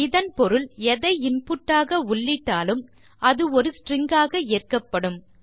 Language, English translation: Tamil, This implies that anything you enter as input, it will be taken as a string no matter what you enter